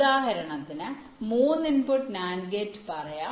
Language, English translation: Malayalam, lets say, for example, a three input nand gate